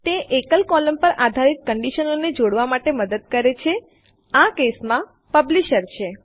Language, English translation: Gujarati, It helps to combine conditions based on a single column, in this case, the Publisher